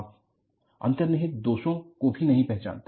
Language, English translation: Hindi, You never recognize inherent flaws